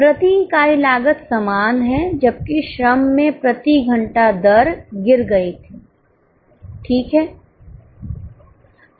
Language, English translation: Hindi, The cost per unit is same whereas in labour it had fallen hourly rate